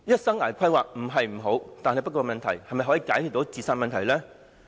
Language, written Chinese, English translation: Cantonese, 生涯規劃不是不好，但是否可解決青年自殺的問題呢？, Life planning is not undesirable but can it solve the current problem of youth suicides?